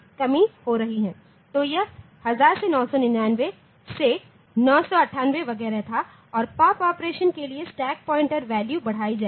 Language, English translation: Hindi, So, it was thousand to 999 to 998 etcetera and for the pop operation the stack pointer value will be incremented